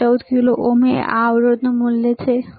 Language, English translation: Gujarati, 14 kilo ohm is the value of this resistor, right